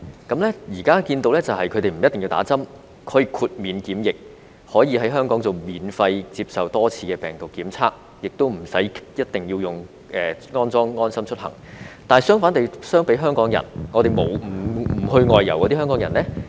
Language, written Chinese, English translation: Cantonese, 現時他們不一定要打針，可以豁免檢疫，可以在香港免費接受多次病毒檢測，亦無須一定要安裝"安心出行"，但相比之下，不外遊的香港人卻與之相反。, At present they can receive quarantine exemption and undergo multiple virus tests for free in Hong Kong without being required to get vaccinated nor install the LeaveHomeSafe mobile app . But by contrast the opposite is true for Hong Kong people who cannot travel abroad